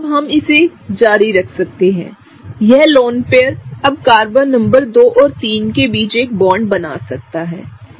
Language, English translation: Hindi, We can continue doing this; this particular lone pair can now form a bond between Carbon numbers 2 and 3, right